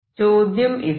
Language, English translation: Malayalam, Now, this is the question